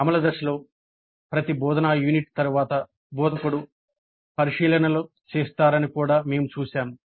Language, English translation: Telugu, Then we also noted during the implement phase that after every instructional unit the instructor makes observations